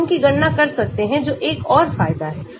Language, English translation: Hindi, we can calculate them that is another advantage